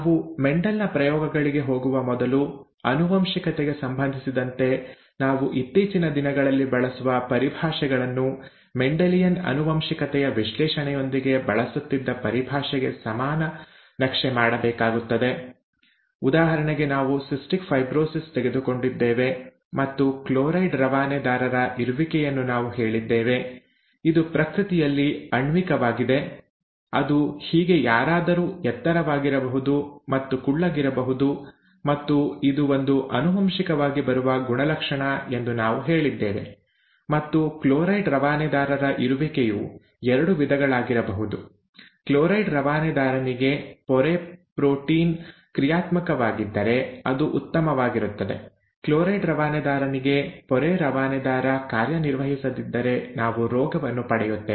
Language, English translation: Kannada, Before we went into Mendel’s experiments, we needed to map whatever terminology that we use nowadays in the context of genetics to the equivalent terminology that goes with a Mendelian analysis of inheritance; for example, we had taken cystic fibrosis and we said presence of a chloride transporter, this is rather molecular in nature, it could be somebody being tall and short and so on so forth, that could also be and we said that this was a character which is an which was a heritable feature, and the presence of the chloride transporter, it could be of two kinds, if the membrane protein for chloride transporter is functional then it is fine; if the membrane transporter for chloride function, chloride transporter is not functional, then we get the disease